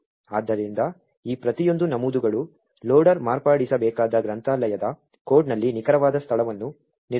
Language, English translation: Kannada, So, each of these entries determines the exact location in the library code the loader would need to modify